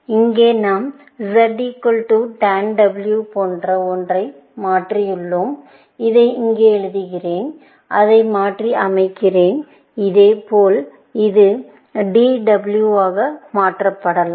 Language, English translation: Tamil, Notice that here, we have replaced something like Z equal to tan W, let me write it here, and transformed into this, and likewise, this can get transformed into d w